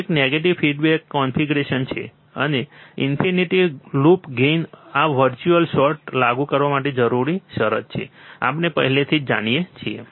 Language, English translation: Gujarati, One is negative feedback configuration, and infinite loop gain these are the required condition to apply virtual short, we already know